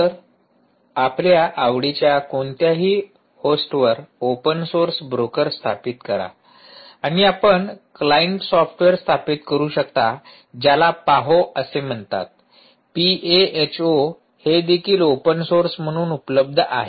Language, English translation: Marathi, so install the open source broker on any host that you like and you can install the client software, which is called paho, p, a, h, o also available as open source